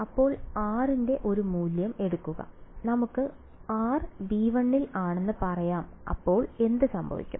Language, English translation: Malayalam, So, take a value of r let us say r is in V 1 then what will happen